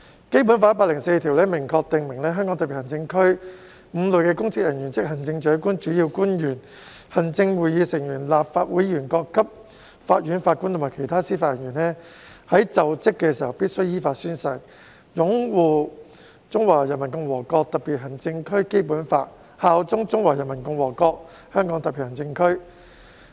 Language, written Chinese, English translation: Cantonese, 《基本法》第一百零四條明確訂明香港特別行政區5類公職人員，即行政長官、主要官員、行政會議成員、立法會議員、各級法院法官和其他司法人員在就職時必須依法宣誓"擁護《中華人民共和國香港特別行政區基本法》，效忠中華人民共和國香港特別行政區"。, Article 104 of the Basic Law expressly provides that five categories of public officers namely the Chief Executive principal officials Members of the Executive Council and of the Legislative Council judges of the courts at all levels and other members of the judiciary in the Hong Kong Special Administrative Region HKSAR must in accordance with law swear to uphold the Basic Law of the Hong Kong Special Administrative Region of the Peoples Republic of China and swear allegiance to the Hong Kong Special Administrative Region of the Peoples Republic of China when assuming office